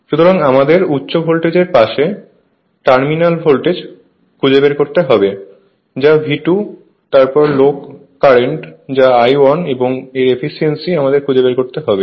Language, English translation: Bengali, So, we have to find out the terminal voltage on high voltage side that is V 2 then low voltage low current that is I 1 and the efficiency right so, that is the that we have to find it out